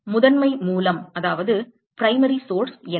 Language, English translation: Tamil, What is the primary source